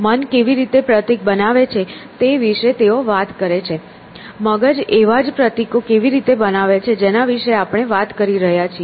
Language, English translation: Gujarati, He talks about how the mind creates symbol, how the brain creates these same symbols that we are talking about